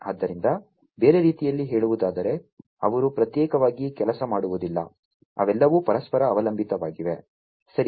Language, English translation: Kannada, So, in other words they do not work in isolation, they are all interdependent, right